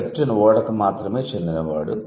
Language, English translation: Telugu, So, a captain can only belong to a ship